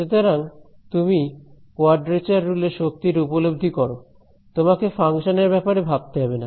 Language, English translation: Bengali, So, more and more you will appreciate the power of a quadrature rule you dont care about the function